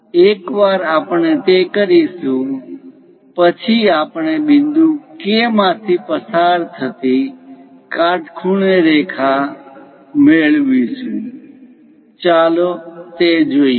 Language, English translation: Gujarati, Once we do that, we will get a perpendicular line passing through point K; let us look at that